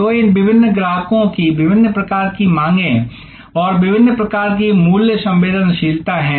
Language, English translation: Hindi, So, these different customers have different types of demands and different types of price sensitivity